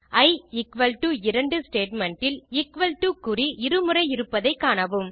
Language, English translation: Tamil, Note that i is equal to 2 statement uses the equal to sign twice